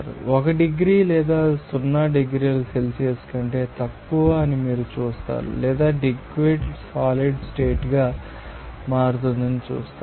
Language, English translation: Telugu, You will see that or even you know 1 degree or less than 0 degree Celsius you will see that liquid will be converting into a solid state